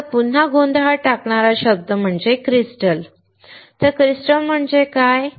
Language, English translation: Marathi, Now again confusing word crystal, what does crystal mean